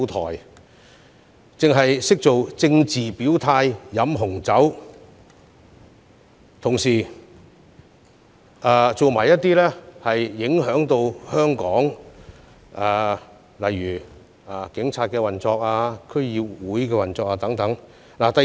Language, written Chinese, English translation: Cantonese, 他們只懂作政治表態、飲紅酒，同時做出影響香港警方、區議會運作的事情。, All they did was making political gestures and drinking red wine . They even sought to disrupt the operation of the Hong Kong Police and DCs